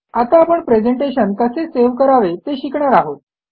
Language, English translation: Marathi, Now lets learn how to save the presentation